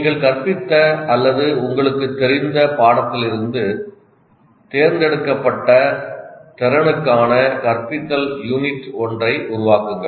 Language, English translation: Tamil, Developed an instructional unit for a chosen competency from the course you taught or you are familiar with